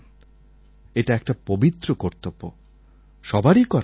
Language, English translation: Bengali, This is a holy act, everyone must do it